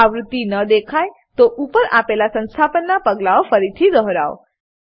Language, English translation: Gujarati, If it doesnt show the version, repeat the above installation steps once again